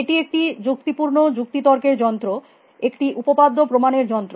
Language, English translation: Bengali, It was a logical listening machine, a theorem proving machine